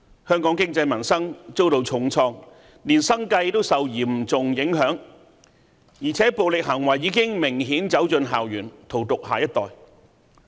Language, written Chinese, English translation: Cantonese, 香港經濟民生遭到重創，連生計也受嚴重影響，而且暴力行為已明顯走進校園，荼毒下一代。, The economy and peoples livelihood in Hong Kong have been hard hit by the unrest . Peoples livelihood is seriously affected . Besides violence has obviously spread into campus and poisoned the minds of the next generation